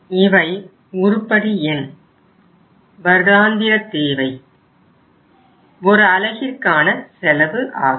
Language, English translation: Tamil, Item number, annual demand, and then it is the unit cost